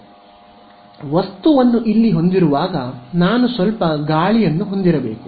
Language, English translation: Kannada, So, this is why when I have my object over here I need to have some air over here right